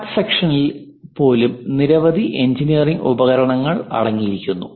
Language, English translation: Malayalam, Even the cut sectional consists of many engineering equipment